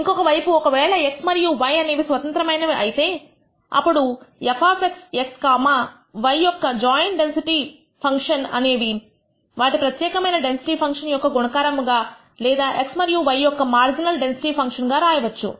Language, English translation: Telugu, On the other hand, if x and y are independent, then the joint density function of f of x x comma y can be written as the product of the individual density functions or marginal density functions of x and y